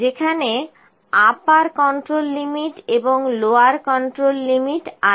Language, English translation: Bengali, Upper control limit and lower control limit is there